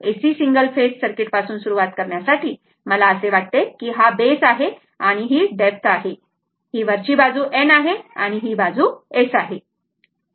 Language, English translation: Marathi, So, to start with AC single phase circuit, I thought this will be the base to depth this side is upper side is N and this side is S right